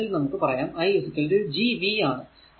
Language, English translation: Malayalam, So, v is equal i is equal to Gv